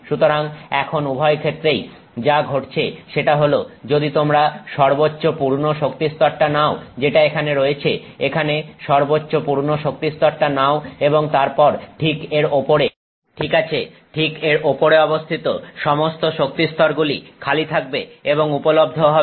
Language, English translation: Bengali, So now in either case what happens is if you take the highest occupied energy level which is here, take the highest occupied energy level here and the highest occupied energy level that is here, then immediately above it, right above it, so, right above it are all energy levels that are vacant and available